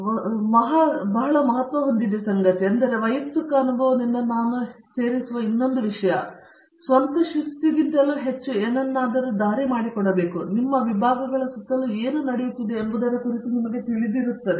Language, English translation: Kannada, Third and very significant that there are lot of things, but at third that I would add from my personal experience is you should be leading something more than you are own discipline as well, so that you are aware of whatÕs happening around you and in other disciplines